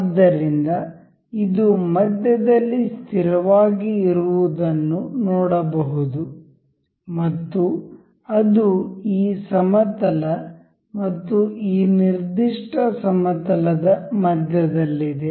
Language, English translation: Kannada, So, we can see this is fixed in the center and it is in the middle of this plane and this particular plane